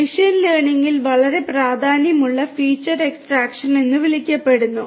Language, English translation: Malayalam, So, in machine learning feature extraction is very important